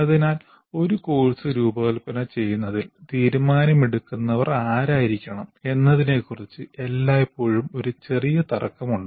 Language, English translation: Malayalam, So there is always a bit of tussle between who should be the final decision maker in designing a course